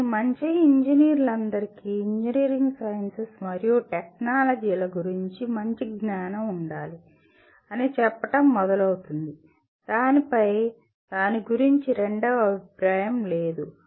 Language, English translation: Telugu, But all of them will start with say all good engineers must have sound knowledge of engineering sciences and technologies, on that there is absolutely no second opinion about it